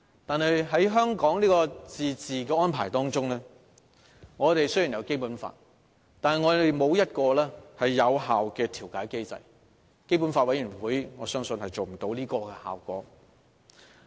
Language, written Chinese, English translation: Cantonese, 但是，在香港的自治安排中，雖然我們有《基本法》，但沒有一個有效的調解機制，我相信基本法委員會無法做到這個效果。, That said under the autonomous arrangement for Hong Kong though we have the Basic Law an effective mediation mechanism is not in place and I believe the Basic Law Committee can hardly perform such a role